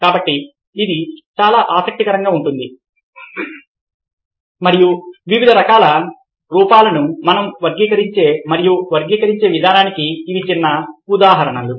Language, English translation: Telugu, so this is very interesting and these are small instances of the way we categorize and classify ah different kinds of forms